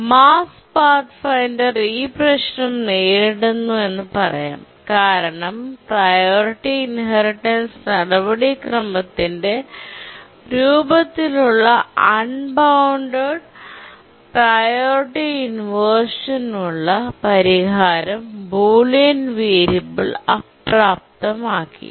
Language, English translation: Malayalam, In summary, I can say that the Mars 5th Pathfinder was experiencing problem because the solution to the unbounded priority inversion in the form of a priority inheritance procedure was disabled by the bullion variable